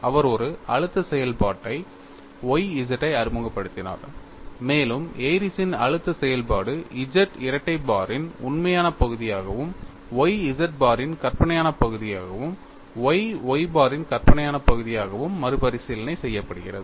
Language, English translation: Tamil, He introduced a stress function Y z, and the Airy's stress function is recast as real part of Z double bar plus y imaginary part of Z bar plus y imaginary part of Y bar